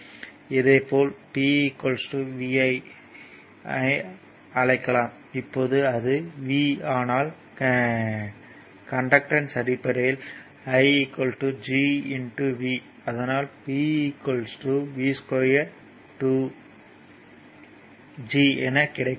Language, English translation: Tamil, Similarly, also just other you can write p is equal to vi, now it is v, but in terms of conductance i is equal to G into v; that is v square G, right